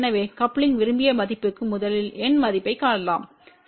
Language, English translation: Tamil, So, for the desired value of coupling we first find the numeric value of C